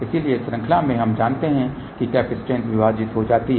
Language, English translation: Hindi, So, in series we know that capacitances get divided